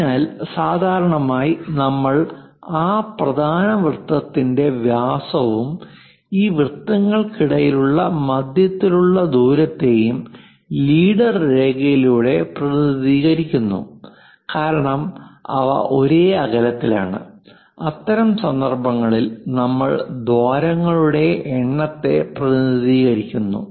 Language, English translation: Malayalam, So, usually we represent that main circle diameter through leader line and also center to center distance between these circles because they are uniformly spaced in that case we just represent number of holes